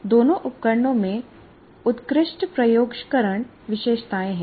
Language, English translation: Hindi, And both the tools have excellent visualization features